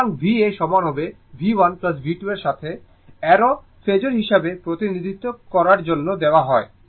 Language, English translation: Bengali, So, v A is equal to V 1 plus V 2 arrow is given to represent it is phasor